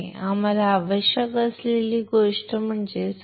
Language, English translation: Marathi, So, third thing we require is substrate